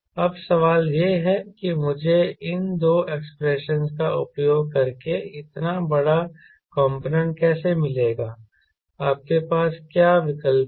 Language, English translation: Hindi, now the question is: how do i get such a huge component plus using these two expression